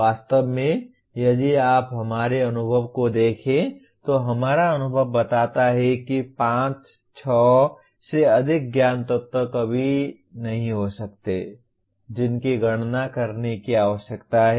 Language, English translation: Hindi, Actually if you look at our experience, our experience shows that there may never be more than 5, 6 knowledge elements that need to be enumerated